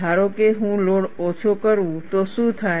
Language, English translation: Gujarati, Suppose, I reduce the load, what happens